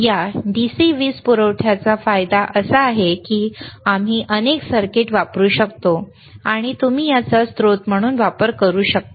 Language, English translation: Marathi, aAdvantage of this DC power supply is that we can use multiple circuits, and you can use this as a source, you can use this as a source, that is the advantage ok